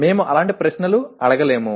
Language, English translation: Telugu, We cannot ask questions like that